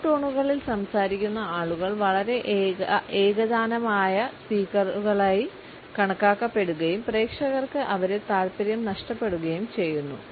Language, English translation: Malayalam, People who speaks in monotones come across as highly monotones speakers and the audience immediately lose interest